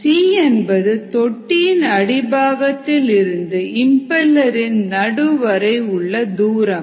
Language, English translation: Tamil, c is the distance from the bottom of the tank to the middle of the impeller